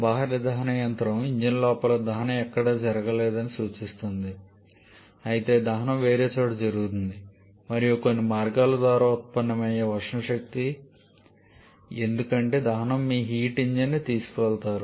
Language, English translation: Telugu, Whereas external combustion engine refers to where the combustion is not taking place inside the engine rather combustion is taking place somewhere else and by some means the thermal energy generated because the combustion is taken to your heat engine